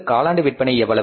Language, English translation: Tamil, What are the quarterly sales